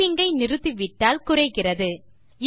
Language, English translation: Tamil, If you stop typing, the speed count decreases